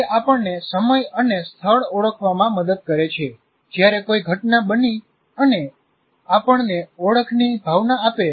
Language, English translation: Gujarati, It helps us to identify the time and place when an event happened and gives us a sense of identity